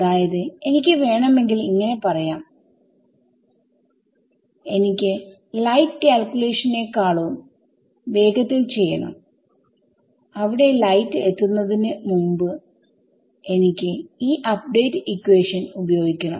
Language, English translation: Malayalam, So, I want to do in some sense it sounds very grand when I said I want to do a faster than light calculation before the light gets there I want to use this update equation right